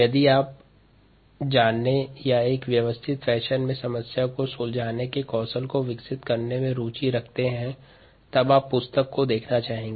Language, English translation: Hindi, if you are interested in knowing ah or in developing the problem solving skill in a systematic fashion, you may want to look at this book